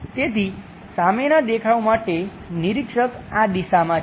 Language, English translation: Gujarati, So, front view, the observer is observer is in this direction